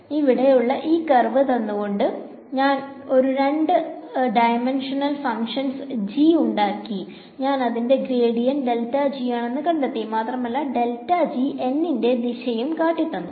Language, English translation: Malayalam, So, given the curve over here, I constructed a two dimensional function g; I found out its gradient grad g and this grad g gives me the direction of n right